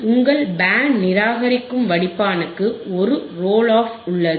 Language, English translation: Tamil, There is a roll off for your band reject filter